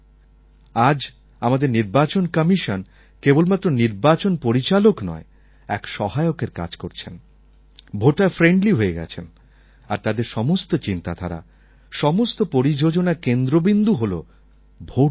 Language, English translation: Bengali, Today, our election commission does not work only as a regulator but has become a facilitator, has become voterfriendly and the voter is at the centre of all its policies and its ideologies